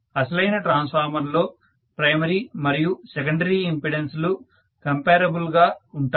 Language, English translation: Telugu, Are the primary and secondary impedances always comparable